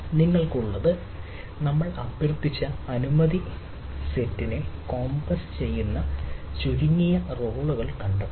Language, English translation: Malayalam, so we what you have, the finds a minimal set of roles which in compasses the requested permission set